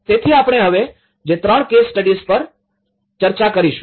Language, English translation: Gujarati, So, the three case studies which we will be discussing now